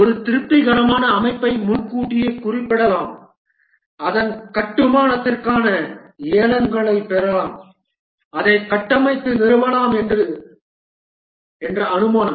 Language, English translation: Tamil, The assumption that one can specify a satisfactory system in advance, get beads for its construction, have it built and install it